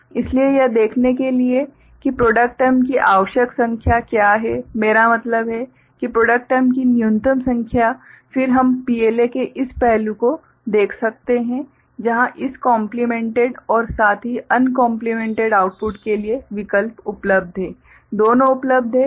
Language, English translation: Hindi, So, just to see that required number of product terms are there I mean minimum number of product terms, then we can look at this aspect of PLA where option for this complemented and uncomplemented outputs, both are available